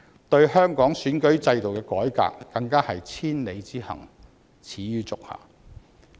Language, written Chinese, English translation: Cantonese, 對香港選舉制度的改革，更是千里之行，始於足下。, When it comes to the reform of the electoral system of Hong Kong these are even the first step of a thousand - mile journey